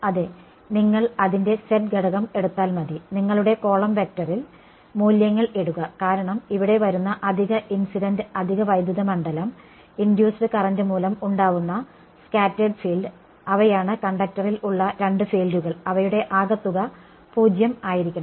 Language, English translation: Malayalam, Yeah you just have to take the z component of it and in your column vector over here this guy, put in the values because, that is the extra incident extra electric field that is coming over here, in addition to the scattered field due to induced current those are the two fields which are present in the conductor which should together sum to 0 ok